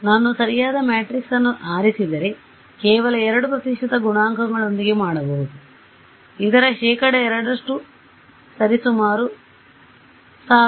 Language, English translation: Kannada, If I choose a correct matrix, I can with just 2 percent coefficients; so, 2 percent of this is going to be roughly how much